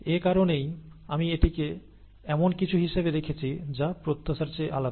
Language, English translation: Bengali, That is the reason why I have put it down as something that is different from expected